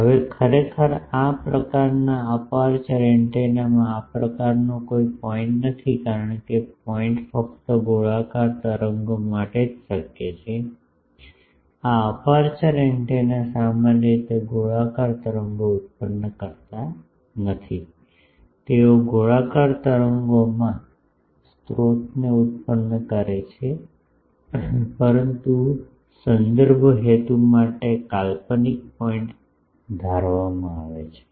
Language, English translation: Gujarati, Now, actually in this type of aperture antennas there is no such point, because the point is possible only for a spherical waves, this aperture antennas generally do not produce spherical waves, they produce they line sources in cylindrical wave, but for reference purposes a hypothetical point is assumed